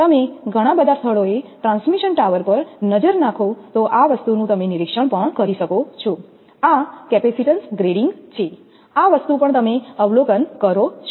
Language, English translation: Gujarati, If you look at the transmission tower in many places this thing also you will observe, this is capacitance grading, this thing also you will observe